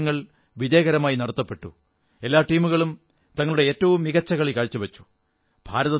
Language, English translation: Malayalam, The world cup was successfully organized and all the teams performed their best